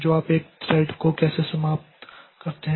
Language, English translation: Hindi, So how do you terminate a thread